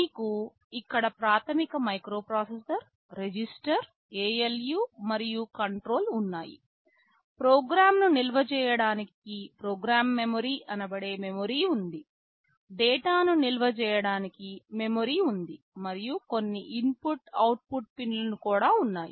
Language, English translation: Telugu, You have the basic microprocessor here, register, ALU and the control, there is some program memory, a memory to store the program, there is a memory to store your data and there can be some input output pins